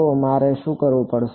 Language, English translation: Gujarati, So, what would I have to do